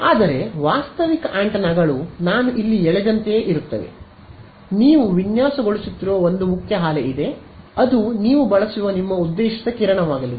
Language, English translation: Kannada, But, realistic antennas are more like this what I have drawn over here, there is one main lobe that you are designing, which is going to be your intended beam that you will use